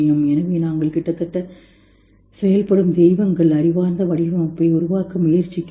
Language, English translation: Tamil, So we are almost acting gods trying to create intelligent design